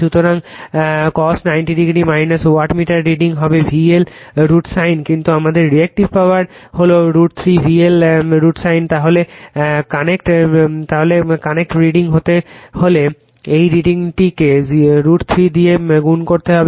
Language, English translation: Bengali, So, cos ninety degree minus theta , let me wattmeter , reading will be V L I L sin theta right , but our Reactive Power is root 3 V L I L sin theta ,then this reading has to be multiplied by root 3 to get the connect reading right